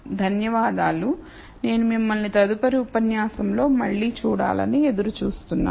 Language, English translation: Telugu, Thank you and I look forward to seeing you again in the next lecture